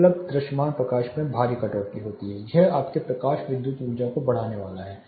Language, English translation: Hindi, The visible light available is drastically cut this is going to increase your lighting energy, lighting electrical energy